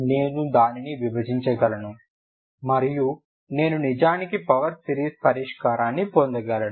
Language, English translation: Telugu, I can divide it I can actually get the power series solution